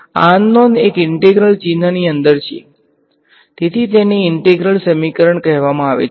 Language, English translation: Gujarati, The unknown is sitting inside an integral sign that is why it is called integral equation